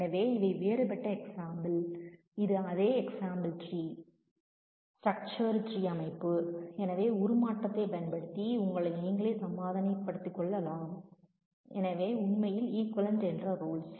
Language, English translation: Tamil, So, these are different example so, this is a the same example being shown in terms of the tree parts tree structure so, we can convince yourself by using the transformation rules that they are actually equivalent